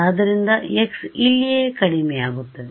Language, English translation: Kannada, So, x is decreasing over here right